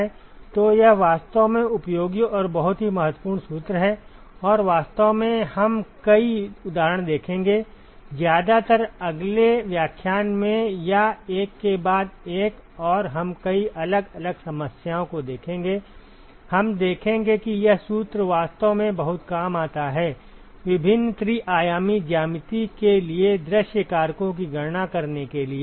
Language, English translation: Hindi, So, this is a really useful and very very important formula and in fact, we will see several examples mostly in the next lecture or the one after and we will look at several different problems, we will see that this formula actually comes in very handy to calculate view factors for various three dimensional geometries